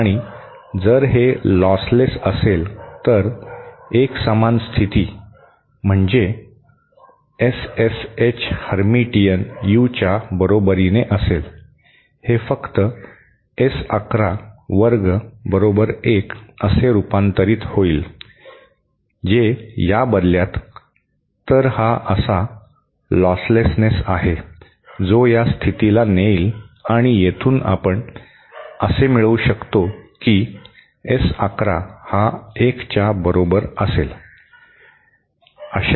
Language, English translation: Marathi, And if it is lost less, then the unitary condition, that is S SH Hermitian is equal to U, this simply translates into S 11 square equal to1 which in turnÉ, so this is the lossless ness that will lead to this condition and from here we can derive that S11 will be equal to 1